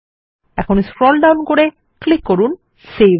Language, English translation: Bengali, Let us scroll down and lets click on SAVE